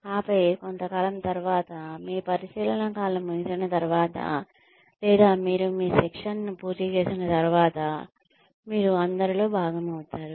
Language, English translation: Telugu, And then, after a while, after your probation period is over, or you finished your training, you become part of the flock